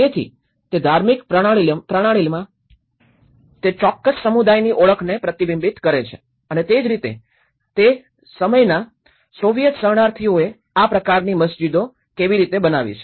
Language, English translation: Gujarati, So, it reflects the identity of that particular community in the religious system and similarly, the Soviet that time refugees and how they build this kind of mosques